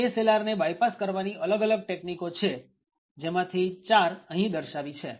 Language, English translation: Gujarati, There are various techniques by which ASLR can be bypassed, four of them are actually shown over here